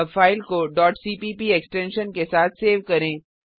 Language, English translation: Hindi, Now save the file with .cpp extension